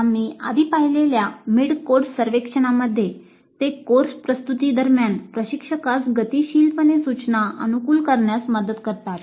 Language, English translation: Marathi, Mid course surveys which we saw earlier, they do help the instructor to dynamically adopt instruction during the course delivery